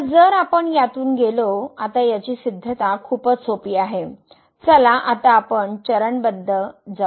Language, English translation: Marathi, So, if we go through; now the proof which is pretty simple so, let us go step by step